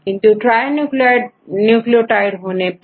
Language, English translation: Hindi, So, we provide trinucleotides